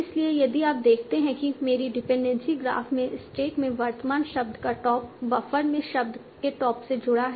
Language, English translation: Hindi, So if you see that in my dependency graph, the current top of the word in stack is connected to the top of the word in buffer